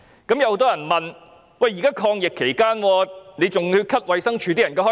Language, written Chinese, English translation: Cantonese, 但有人問，現在是抗疫期間，還要削減衞生署人員薪酬開支？, However some people queried Should the expenditure on the salary of DH staff be deducted even amid the current fight against the epidemic?